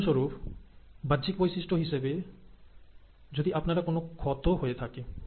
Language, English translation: Bengali, The external features is, for example if you have a wound created